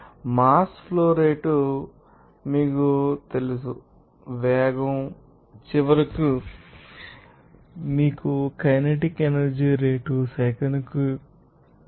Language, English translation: Telugu, You know mass flow rate even you know that velocity, they are and finally you can get this you know kinetic energy rate as 41